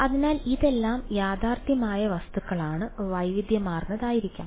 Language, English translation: Malayalam, So, this is all realistic objects are going to be heterogeneous